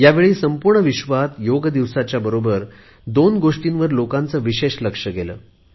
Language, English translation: Marathi, This time, people all over the world, on Yoga Day, were witness to two special events